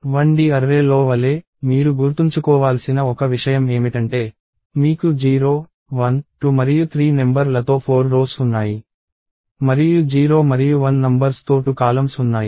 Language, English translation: Telugu, And as with 1D array, one thing that you will have to remember is that, you have 4 rows numbered 0, 1, 2 and 3; and 2 columns numbered 0 and 1